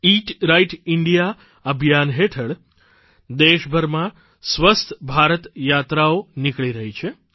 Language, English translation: Gujarati, Under the aegis of "Eat Right India" campaign, 'Swasth Bharat' trips are being carried out across the country